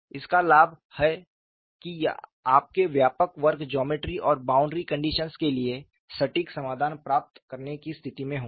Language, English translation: Hindi, The advantage is you will be in a position to get the exact solutions to a broader class of geometries and boundary conditions